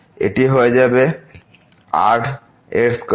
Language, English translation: Bengali, This will become square